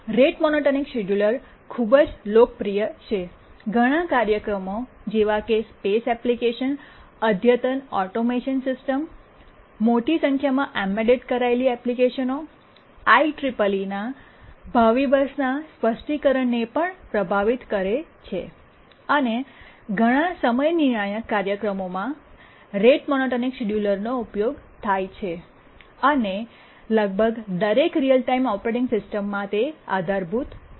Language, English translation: Gujarati, The rate monotermed scheduler is overwhelmingly popular, used in many, many applications, space applications, advanced automation systems, large number of embedded applications, even has influenced the specification of the ICC3PII future bus and in many time critical applications the rate monotonic scheduler is used and is supported in almost every operating, real time operating system